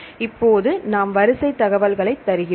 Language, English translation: Tamil, Now we give the sequence information